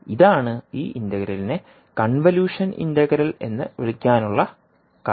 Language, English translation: Malayalam, So this integral is called as a convolution integral